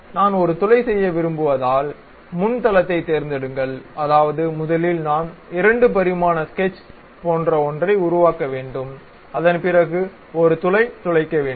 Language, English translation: Tamil, Pick the front plane because I would like to make a hole; that means, first I have to make something like a 2 dimensional sketch after that drill a hole through that